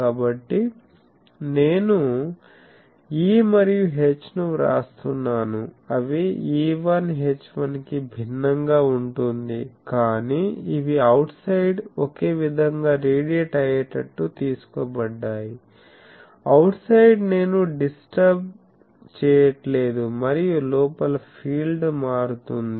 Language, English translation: Telugu, A different from E1 H1, but these are taken to be such that they will radiate the same thing in the outside, outside I am not disturbing and inside field is getting disturbed